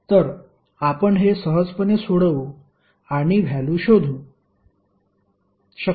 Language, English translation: Marathi, So, this you can easily solve and find out the value